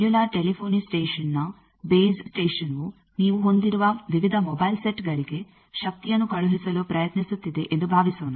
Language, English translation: Kannada, Suppose a base station of a cellular telephony station that mobile phone base station is trying to send power to various mobile sets that you are having